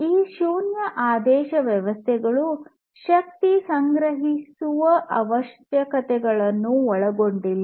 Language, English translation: Kannada, And these zero order systems do not include energy storing requirements